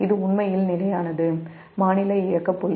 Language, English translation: Tamil, this is the steady state operating point